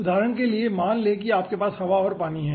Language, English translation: Hindi, for example, lets say you are dealing with air and water